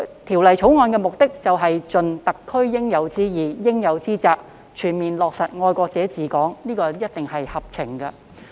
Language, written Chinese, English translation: Cantonese, 《條例草案》的目的便是盡特區應有之義、應有之責，全面落實"愛國者治港"，這一定是合情的。, The Bill seeks to honour SARs due obligations and responsibilities of fully implementing the principle of patriots administering Hong Kong which is certainly reasonable